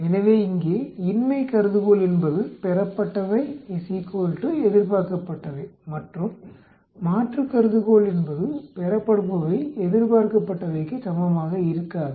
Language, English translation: Tamil, So, the null hypothesis here will be observed is equal to expected and the alternate will be observed is not equal to expected